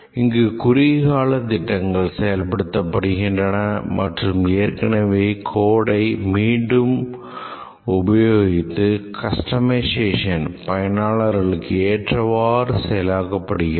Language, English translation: Tamil, Here only short term plans are made and another feature is heavy reuse of existing code that is customization projects